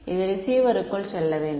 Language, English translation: Tamil, That is this is should go into the receiver